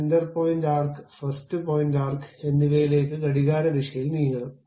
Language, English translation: Malayalam, Center point arc, first point arc, now I want to move clockwise direction